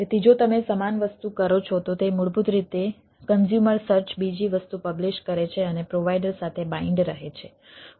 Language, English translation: Gujarati, so if you the same thing, it basically publish another thing, the consumer search and go on and go on binding with the provider